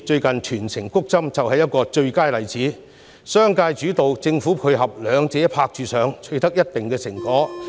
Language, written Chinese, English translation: Cantonese, 近日全城"谷針"便是最佳例子，由商界主導、政府配合，兩者"拍住上"達致一定的成果。, Recent efforts in promoting vaccination for all Hong Kong people provide the best example . With the business sector taking the initiative and the Government playing a complementary role the cooperation has produced good results